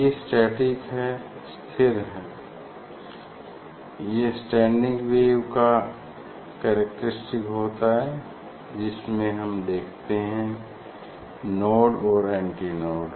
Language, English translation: Hindi, these are static, this is the characteristics of the standing wave we see the node and antinode this is the standing wave